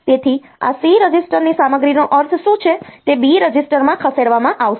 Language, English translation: Gujarati, So, what it means the content of this C register will be moved to the B register